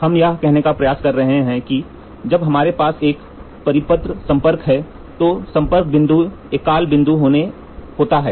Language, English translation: Hindi, What we are trying to say is we are trying to say when we have a circular contact then the point of contact is going to be a single point